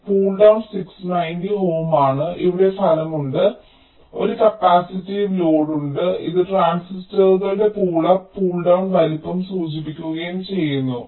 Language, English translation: Malayalam, so pull down is six, ninety ohm, and here there is a effect, here there is a capacitive load which indicates the sizes of the pull up and pull down transistors